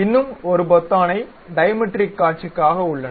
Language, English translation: Tamil, There is one more button like Dimetric views